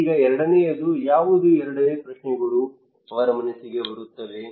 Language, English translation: Kannada, Now what is the second one what the second questions come to his mind